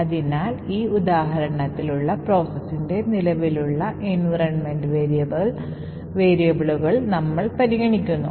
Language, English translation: Malayalam, So, in this particular example over here we have considered the environment variables that is present in the process